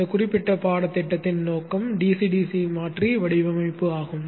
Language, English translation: Tamil, The objective of this particular course is the DCDC converter design